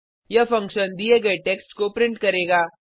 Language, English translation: Hindi, This function will print out the given text